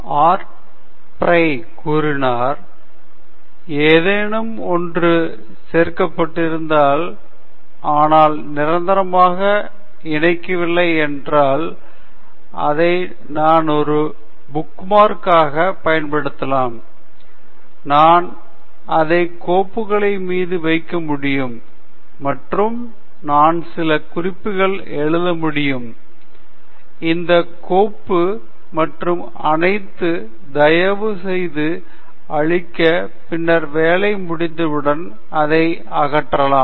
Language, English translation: Tamil, Art Fry said, if something is there which attaches, but does not attach permanently, I can use it as a bookmark; I can put it on files, and I can write some notes please clear this file and all; then, it can be removed whenever the job is over